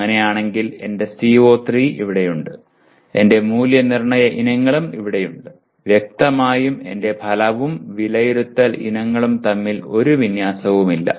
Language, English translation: Malayalam, If it is so, my CO3 is here, my assessment items are here then obviously there is no alignment between my outcome and the assessment items